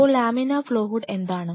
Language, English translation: Malayalam, So, what is laminar flow hood